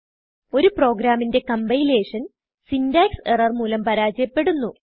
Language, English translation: Malayalam, Compilation fails when a program has syntax errors